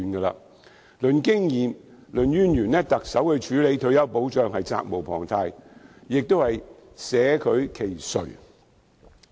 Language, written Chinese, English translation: Cantonese, 論經驗、論淵源，特首處理退休保障是責無旁貸，捨她其誰？, Given the experience and past association of the Chief Executive nobody but her is duty - bound to handle the issue of retirement protection